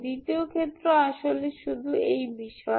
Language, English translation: Bengali, Case 2 is actually only about this, Ok